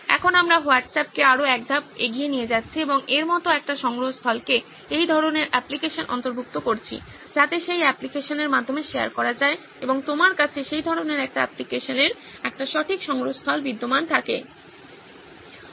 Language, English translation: Bengali, Now we are taking WhatsApp one step further and incorporating a repository like this into some that kind of an application so that sharing can happen through that application and you have a proper repository existing in that kind of an application